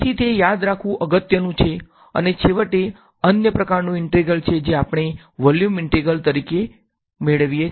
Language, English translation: Gujarati, So, that is important to remember and finally the other kind of integral that we come across as a volume integral